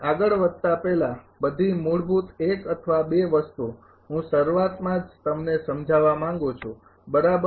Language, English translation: Gujarati, Before proceeding all the basic one or two thing I would like to explain at the beginning itself right